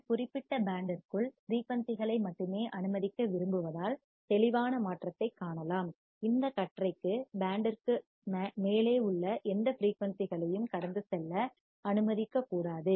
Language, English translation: Tamil, The sharp change can be seen because we want to only allow the frequency within this particular band; and any frequency above this band, should not be allowed to pass